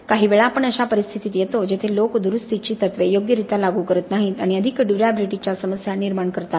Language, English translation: Marathi, Sometimes we come across situations where people do not apply repair principles properly and end up producing more durability problems